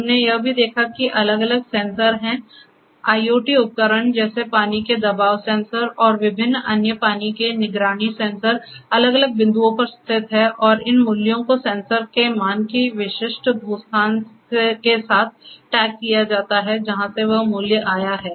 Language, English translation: Hindi, We have also seen that there are different sensors, IOT devices like you know water pressure sensor and different other water monitoring sensors are located at different points and these values, the sensor values also come tagged with the specific geo location from where that particular value has come